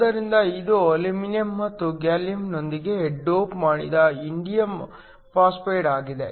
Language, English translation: Kannada, So, It is an indium phosphide doped with aluminum and gallium